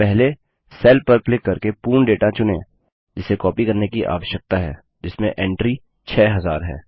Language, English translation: Hindi, Then first select all the data which needs to be copied by clicking on the cell which contains the entry, 6000